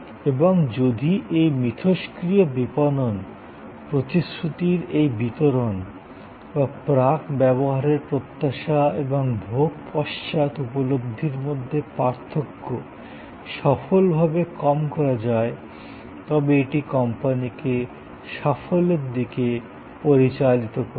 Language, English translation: Bengali, And if this interactive marketing this delivery of the promise or narrowing of the gap between the pre consumption expectation and post consumption perception happen successfully it leads to the company success